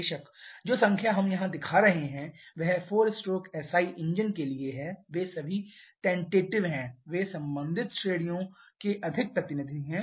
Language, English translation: Hindi, Of course, the numbers all what we are showing here is for 4 stroke a SI engine, they are all tentative, they are more representative of the corresponding ranges